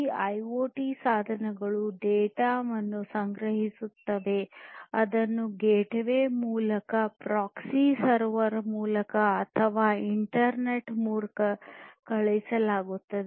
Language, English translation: Kannada, So, this data will be sent through the gateway, through maybe a proxy server, through the internet